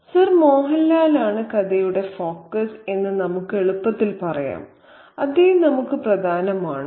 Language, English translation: Malayalam, We can easily say that the focus of the story is Sir Mohan Lal and is he important to us